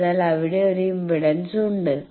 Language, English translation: Malayalam, So, there is an impedance